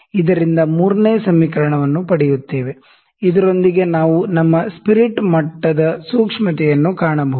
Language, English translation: Kannada, So, that derives the equation 3, with this we can find the sensitivity of the of our spirit level